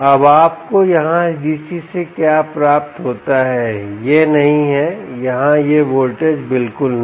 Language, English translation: Hindi, now what you get, what you get out of this dc here, is not this here, not this voltage at all, not this voltage